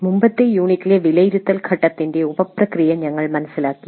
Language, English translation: Malayalam, We understood the sub process of evaluate phase in the last unit